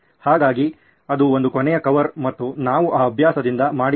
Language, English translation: Kannada, So that is one last cover and we are done with this exercise